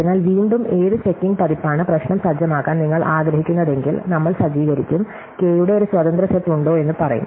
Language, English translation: Malayalam, So, once again, if you want to set up which checking version the problem, we will set up off, will say is there an independent set of size K